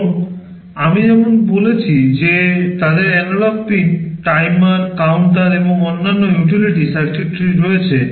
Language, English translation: Bengali, And as I have said they have analog pins, timers, counters and other utility circuitry